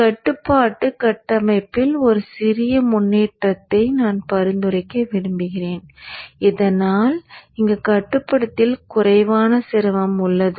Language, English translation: Tamil, I would like to suggest a small improvement in the control structure so that there is less strain on the controller here